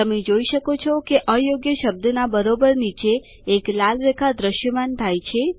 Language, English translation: Gujarati, You see that a red line appears just below the incorrect word